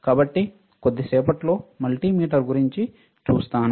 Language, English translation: Telugu, So, we will see about multimeter in a while